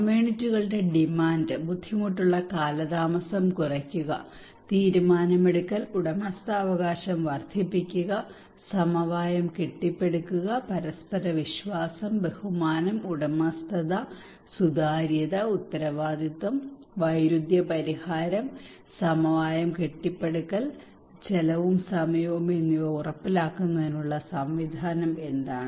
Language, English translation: Malayalam, And what are the mechanism to channel communities demand, reduce delay in difficult, decision making, enhance ownership, build consensus etc and ensure mutual trust, respect, ownership, transparency, accountability, conflict resolution and consensus building, and cost and time effective